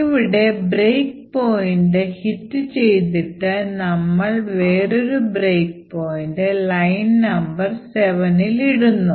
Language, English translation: Malayalam, So, we would hit the break point over here and then we would put another break point in line number 7